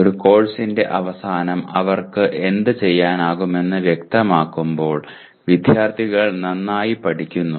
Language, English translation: Malayalam, Students learn well when they are clear about what they should be able to do at the end of a course